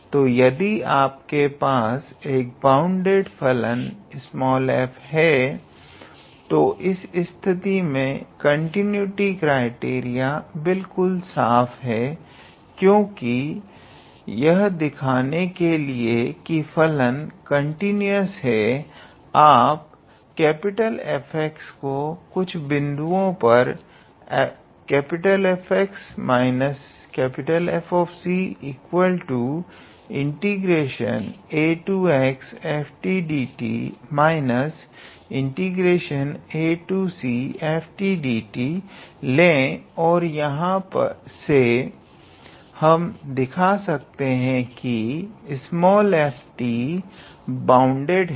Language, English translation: Hindi, So, if you have the bounded function f small f, then in that case this continuity criteria is pretty much clear because in order to show the continuous function you take F x at a certain point you take F x minus F c integral from a to x f t minus integral from a to c f t and from there f t is bounded